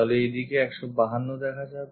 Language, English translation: Bengali, So, 152 will be visible in that direction